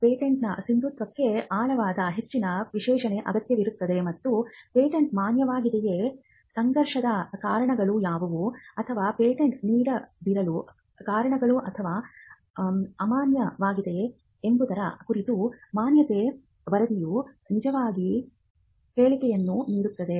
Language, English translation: Kannada, The validity of a patent requires a much more in depth analysis, and the validity report will actually give make a statement on whether the patent is valid, what are the conflicting reasons, or the give that give out the reasons why the patent should not be granted, or why it can be invalidated, in case of a granted patent